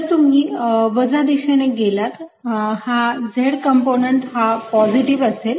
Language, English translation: Marathi, z component is going to be positive, alright